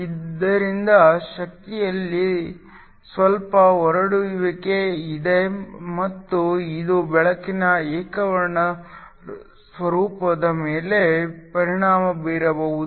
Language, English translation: Kannada, So, there is some spread in the energy and this can affect the monochromatic nature of the light